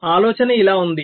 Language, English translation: Telugu, so the idea is like this